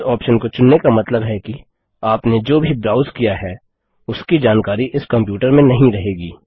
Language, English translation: Hindi, Enabling this option means that the history of your browsing will be not be retained in your computer